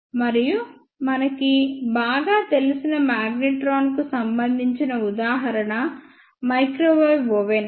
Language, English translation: Telugu, And there is a very known example of magnetron which is microwave oven